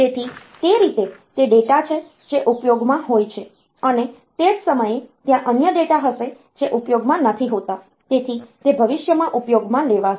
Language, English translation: Gujarati, So, that way, those are the data that are in use and at the same time there will be other data which are not in use, so, they will be used in future